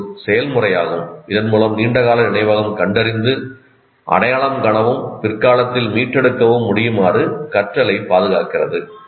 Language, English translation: Tamil, It is a process whereby long term memory preserves learning in such a way that it can locate, identify and retrieve accurately in the future